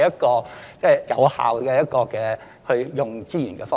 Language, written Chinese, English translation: Cantonese, 這不是有效運用資源的方法。, This is not the efficient use of resources